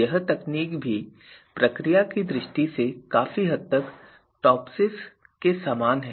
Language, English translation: Hindi, This technique is also quite similar to TOPSIS in terms of procedure